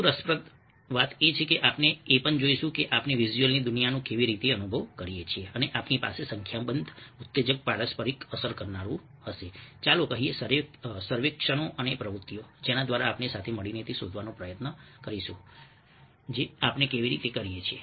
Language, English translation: Gujarati, we experience, ah worlds of the visuals, we experience, ah, the worlds of visuals, and then we will be having a number of exciting, interactive, lets say, surveys and activities through which together we will try to find out how we do it